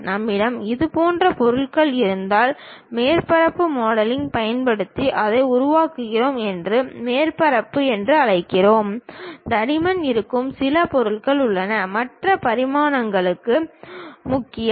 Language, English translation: Tamil, If we have such kind of objects, we call surface we construct it using surface modelling; there are certain objects where thickness are the other dimensions are also important